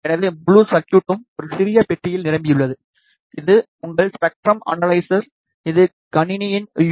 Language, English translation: Tamil, So, the entire circuit is packed into a small box this is your spectrum analyzer, it gets powered by the USB of the computer